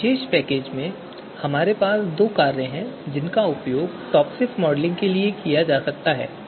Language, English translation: Hindi, So in this particular package we actually have two functions to perform TOPSIS modeling